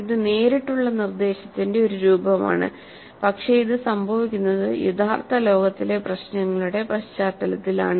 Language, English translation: Malayalam, It is a form of direct instruction but it occurs in the context of real world problems